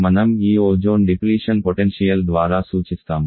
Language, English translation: Telugu, That is what we refer by this ozone depletion potential